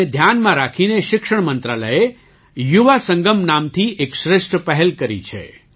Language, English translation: Gujarati, Keeping this in view, the Ministry of Education has taken an excellent initiative named 'Yuvasangam'